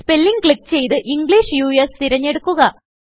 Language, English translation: Malayalam, Click Spelling and select English US